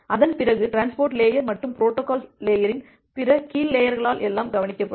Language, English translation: Tamil, After that, everything will be taken care of by the transport layer and other lower layers of the protocol stack